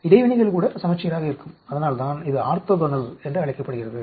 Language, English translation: Tamil, Even the interactions will be symmetry and that is why it is called orthogonal